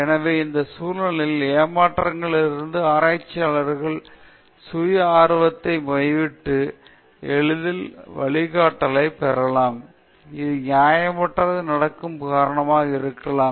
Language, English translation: Tamil, So, in this context, out of frustrations, researchers might give up for self interest and look for easy ways out, which might result in unethical behavior